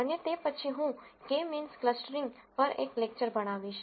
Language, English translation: Gujarati, And after that I will teach a lecture on k means clustering